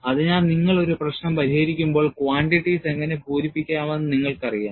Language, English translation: Malayalam, So, when you solve a problem, you would know how to fill in the quantities